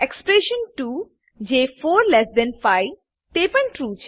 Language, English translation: Gujarati, Expression 2 that is 45 is also true